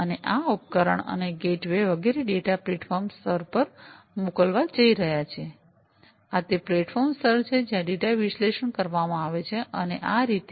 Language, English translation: Gujarati, And these devices and the gateways etcetera are going to send the data to the platform layer, these are this is the platform layer, where the data are going to be analyzed, and so on